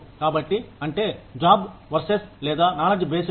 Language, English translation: Telugu, So, that is, the job versus or knowledge based pay